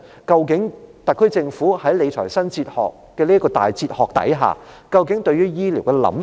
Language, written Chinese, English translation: Cantonese, 究竟特區政府在理財新哲學下，對於醫療究竟有何想法？, Under the new fiscal management philosophy what does the SAR Government think about healthcare?